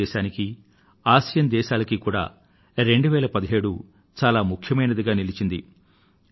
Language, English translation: Telugu, The year 2017 has been special for both ASEAN and India